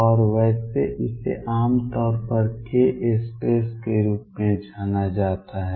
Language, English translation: Hindi, And by the way this is usually referred to as the k space